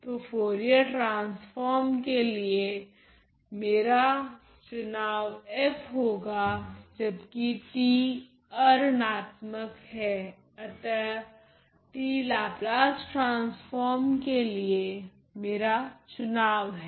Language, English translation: Hindi, So, f will be a choice of my Fourier transform while t is non negative t will be the choice of my Laplace transform